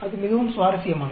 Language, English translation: Tamil, That is very interesting